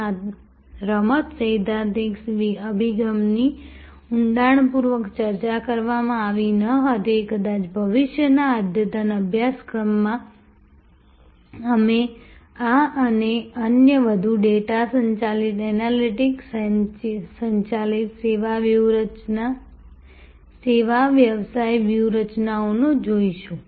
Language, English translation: Gujarati, This game theoretic approach was not discussed in depth, perhaps in a future advanced course, we will look at these and other more data driven, analytics driven service business strategies